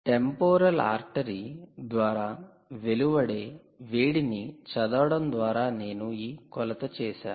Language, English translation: Telugu, i made this measurement by reading the temperature, by the heat, i would say, emanated by the temporal artery